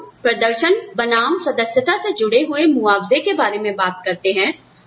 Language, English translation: Hindi, So, when we talk about, performance versus membership related compensation